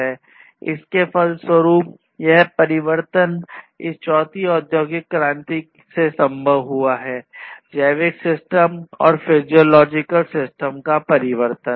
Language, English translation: Hindi, And consequently transformation has been possible in this fourth industrial revolution age transformation of the biological systems, physiological systems and so on